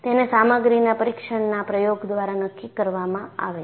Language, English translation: Gujarati, That is determined by a material testing experiment